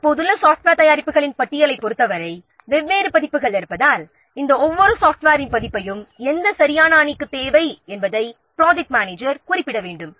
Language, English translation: Tamil, The project manager has to specify the team needs exactly which version of each of these pieces of software because there are different versions